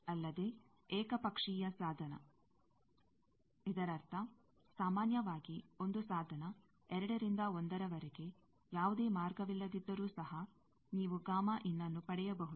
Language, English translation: Kannada, Also, unilateral device; that means, generally, a device, if there is, from 2 to 1 if there is no path, then you can also get gamma IN